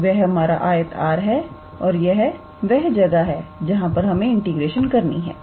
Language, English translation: Hindi, So, that is our rectangle R and this is where we have to perform the integration, alright